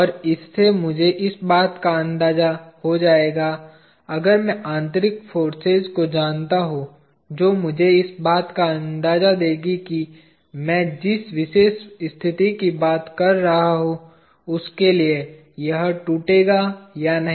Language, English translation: Hindi, And that will give me an idea of, if I know the internal forces that will give me an idea of, whether it will break or not for the particular situation that I am talking about